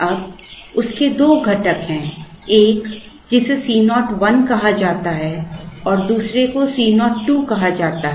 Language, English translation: Hindi, Now, has 2 components, one which is called C 0 1and the other is called C 0 2